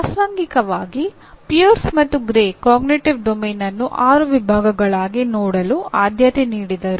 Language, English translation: Kannada, Incidentally Pierce and Gray preferred to look at the Cognitive Domain also as six categories